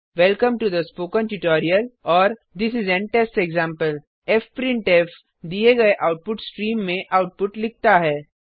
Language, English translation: Hindi, Welcome to the spoken tutorial and This is an test example fprintf writes output to the given output stream